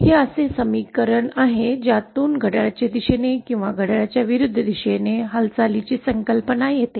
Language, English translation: Marathi, This is the equation from which this concept of clockwise or anticlockwise movement follows